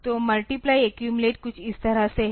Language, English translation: Hindi, So, multiply accumulate is something like this